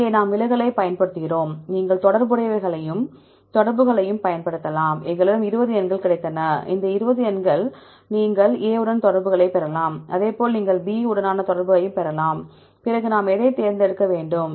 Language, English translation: Tamil, Here we use deviation, we can also use the correlation, we got 20 numbers here, 20 numbers here, you can get the correlation with A, likewise you can get the correlation with B, then how which one we need to select